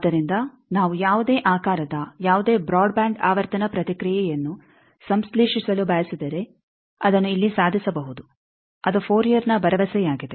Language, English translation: Kannada, So, we can say that if you we want to synthesize any broadband frequency response of any shape that can be achieved here that is the guarantee of Fourier